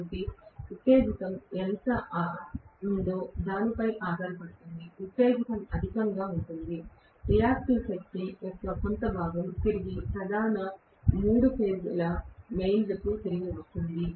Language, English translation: Telugu, So, I will have depending upon how much is the excitation, the excitation is in excess some portion of the reactive power will be returned back to the main, three phase mains